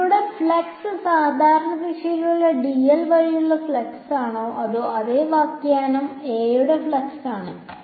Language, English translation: Malayalam, Is the flux through it is the flux through dl in the normal direction, over here was in that the same interpretation is a flux of A